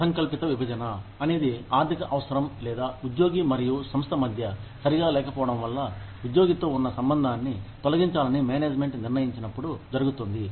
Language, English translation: Telugu, Involuntary separation occurs, when the management decides, to terminate its relationship, with an employee, due to economic necessity, or poor fit, between the employee and the organization